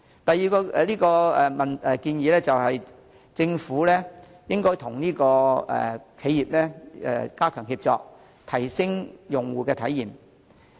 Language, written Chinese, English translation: Cantonese, 第二，政府應該與企業加強協作，提升用戶體驗。, Second the Government should step up cooperation with businesses to enhance user experience